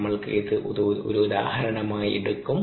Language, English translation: Malayalam, we will take this is as an example